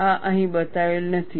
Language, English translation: Gujarati, That is mentioned here